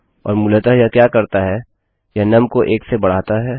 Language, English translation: Hindi, And what it basically does is, it increases num by 1